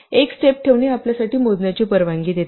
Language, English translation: Marathi, Having a step also allows us to count down